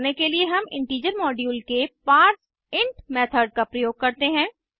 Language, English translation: Hindi, To do this we use the parseInt method of the integer module